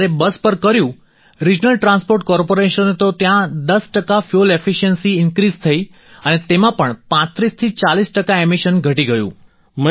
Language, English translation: Gujarati, When we tested on the Regional Transport Corporation buses, there was an increase in fuel efficiency by 10 percent and the emissions reduced by 35 to 40 percent